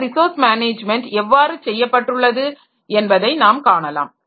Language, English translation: Tamil, So, we'll see the how this resource management is done